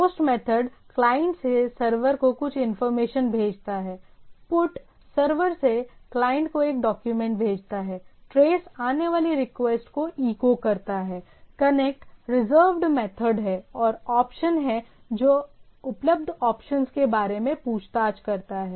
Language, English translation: Hindi, POST method, sends some information from the client to the server, PUT sends a document from the server to the client, TRACE echoes incoming request, CONNECT is reserved method and OPTION that inquires about the available options